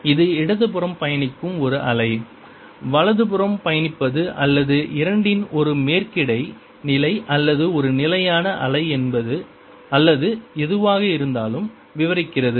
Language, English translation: Tamil, this describes a wave travelling to the left, travelling to the right, or superposition of the two, or a stationary wave, whatever